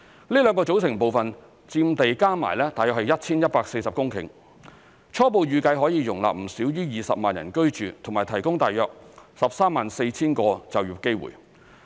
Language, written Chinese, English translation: Cantonese, 這兩個組成部分佔地加起來約 1,140 公頃，初步預計可容納不少於20萬人居住及提供約 134,000 個就業機會。, These two components added up to give a total area of about 1 140 hectares . Our preliminary estimate is that it can accommodate no less than 200 000 residents and provide about 134 000 job opportunities